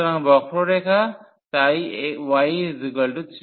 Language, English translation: Bengali, So, the curve so, y is equal to 3 x